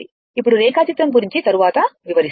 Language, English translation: Telugu, Now, for the diagram we will come later